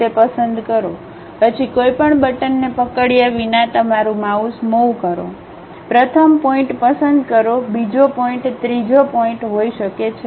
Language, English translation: Gujarati, Pick that, then move your mouse without holding any button, pick first point, second point may be third point